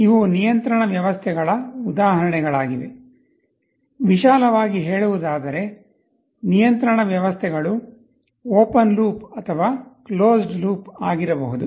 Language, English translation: Kannada, These are examples of control systems; broadly speaking control systems can be either open loop or closed loop